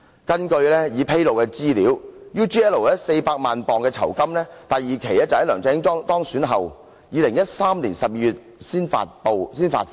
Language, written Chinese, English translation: Cantonese, 根據已披露的資料 ，UGL 給他400萬英鎊酬金，第二期款項在梁振英當選後，即2013年12月才發放。, According to the information uncovered UGL paid LEUNG Chun - ying £4 million and the second instalment of the payment was made in December 2013 after he was elected